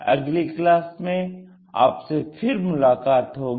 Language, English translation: Hindi, See you in the next class